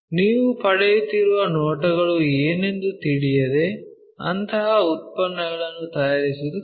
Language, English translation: Kannada, Without knowing what are the views you are getting is difficult to manufacture such kind of products